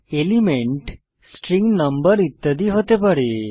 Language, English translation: Bengali, Elements can be string, number etc